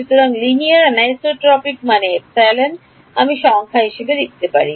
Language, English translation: Bengali, So, linear anisotropic means I can write epsilon as a number